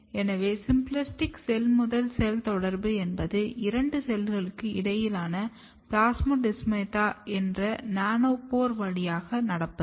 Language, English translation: Tamil, So, symplastic cell to cell communication is basically through a nanopore between two cells, which is called plasmodesmata